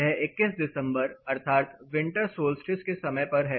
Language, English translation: Hindi, This is on December 21 that is winter solstice